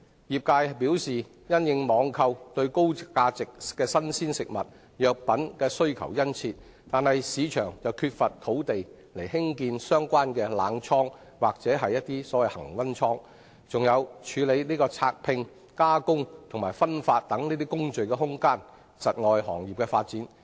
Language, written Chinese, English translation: Cantonese, 業界表示，儘管網購對高價值新鮮食物及藥品的需求殷切，本港卻缺乏土地興建相關的冷倉或恆溫倉，以及處理拆拼、加工及分發等工序的設施，因而窒礙行業的發展。, According to members of the industry despite the strong demand from online shoppers for high - value fresh food and pharmaceuticals there is a lack of land in Hong Kong for the construction of cold or constant temperature storage facilities as well as facilities for carrying out such processes as packingunpacking processing and distribution thereby hindering the development of the industry